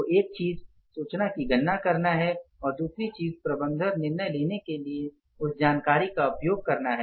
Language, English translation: Hindi, So, one thing is calculating the information and second thing is using that information for the management decision making